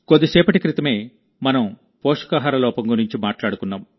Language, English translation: Telugu, We referred to malnutrition, just a while ago